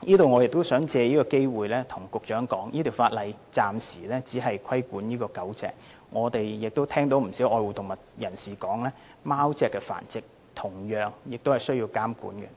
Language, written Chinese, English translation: Cantonese, 我亦想藉此機會告訴局長，這項修訂規例暫時只是規管狗隻的繁殖，我們聽到不少愛護動物人士表示，貓隻的繁殖同樣需要監管。, I would also like to take this opportunity to tell the Secretary that while this Amendment Regulation only regulates the breeding of dogs for the time being a number of animal lovers have indicated to us that the breeding of cats should similarly be monitored